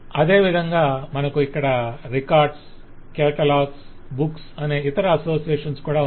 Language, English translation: Telugu, similarly you have other associations here which are records, the catalog and books